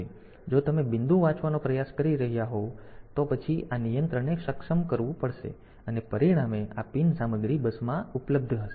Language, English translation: Gujarati, So, if you are trying to read the point; then this control has to be enabled as a result this pin content will be available on to the bus